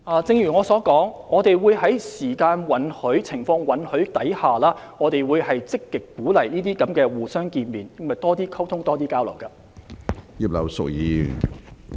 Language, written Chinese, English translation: Cantonese, 正如我所說，如果時間和情況允許，我們積極鼓勵這些會面，以進行更多溝通和交流。, As I have said if time and circumstances permit we proactively encourage such meetings for more communication and exchanges